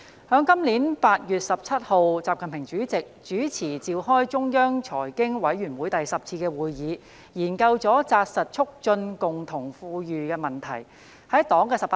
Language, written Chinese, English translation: Cantonese, 在今年8月17日，習近平主席主持召開中央財經委員會第十次會議，研究了扎實促進共同富裕的問題。, On 17 August this year President XI Jinping chaired the 10th meeting of the Central Committee for Financial and Economic Affairs during which the issue of taking solid steps to promote common prosperity was deliberated